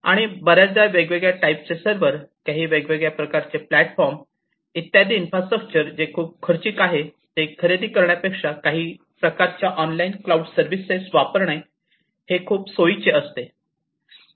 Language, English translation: Marathi, And it is often very convenient to adopt some kind of a online cloud service, instead of procuring infrastructure in the form of different types of servers, different other computing platforms etcetera, so that becomes more costly